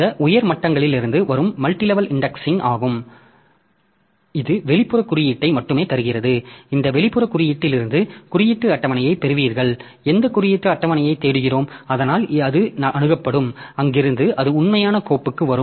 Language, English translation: Tamil, So, this is the multi level indexing from this top level that only gives the outer index, from this outer index you get the index table and this index table so whichever index table we are looking into so that will be accessed and from there it will come to the actual file